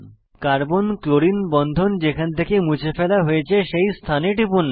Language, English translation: Bengali, Click at the position from where Carbon chlorine bond was deleted